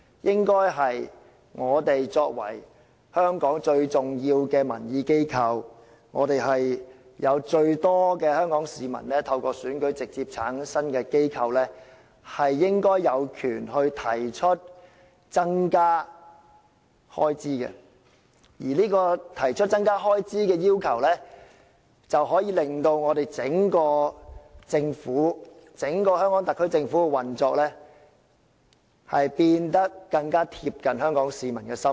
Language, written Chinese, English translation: Cantonese, 立法會是香港最重要的民意機構，是有最多市民參與、透過選舉而直接產生的機構，應該有權提出增加開支，而提出增加開支的要求，可以令整個香港特區政府的運作變得更貼近香港市民的心意。, The Legislative Council is the most important organization of public opinions in Hong Kong . It is a directly - elected organization returned by elections with the largest popular participation . It should have the power to increase expenditures and by proposing an increase in expenditures the entire operation of the Government of the Hong Kong Special Administrative Region SAR can more closely keep tabs on the pulse of the people of Hong Kong